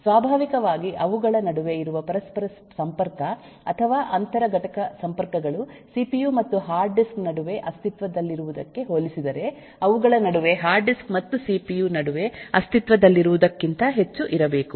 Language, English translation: Kannada, naturally the interconnection that exists between them, or inter component linkages that will have to exist between them, is much higher compared to what will exist between the cpu and the hard disk